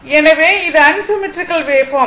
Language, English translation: Tamil, So, this is unsymmetrical wave form